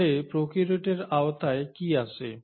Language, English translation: Bengali, So what all comes under prokaryotes